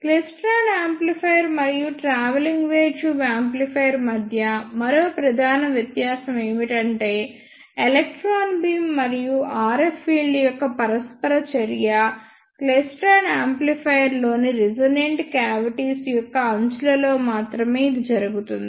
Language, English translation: Telugu, The one more major difference between klystron amplifier and travelling wave tube amplifier is that the interaction of electron beam and the RF field occurs only at the edges of resonant cavities in the klystron amplifier